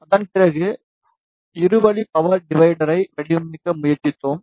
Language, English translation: Tamil, After that we tried to design two way power divider